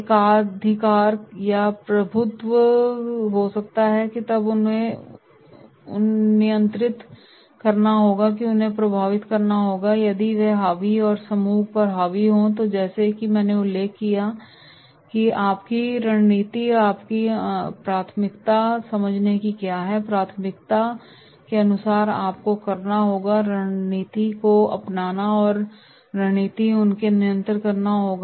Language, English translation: Hindi, There might be monopolist or dominators that is then you have to control them and influence them, if they are the dominators and dominating the group then as I mentioned that is your strategy, you have to understand their priority and according to the priority you have to adopt the strategy and the strategy will be to control them